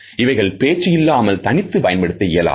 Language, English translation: Tamil, They cannot be used without speech